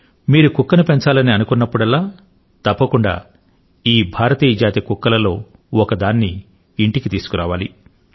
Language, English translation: Telugu, The next time you think of raising a pet dog, consider bringing home one of these Indian breeds